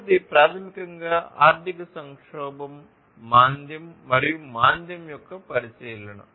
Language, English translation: Telugu, So, then the last one is basically the consideration of economic crisis recession and depression